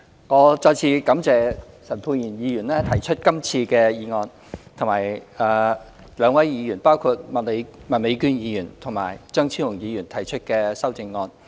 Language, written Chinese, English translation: Cantonese, 我再次感謝陳沛然議員提出今次的議案，以及兩位議員，包括麥美娟議員和張超雄議員提出的修正案。, I wish to thank Dr Pierre CHAN once again for moving the motion this time around and the two Members including Ms Alice MAK and Dr Fernando CHEUNG for proposing their respective amendments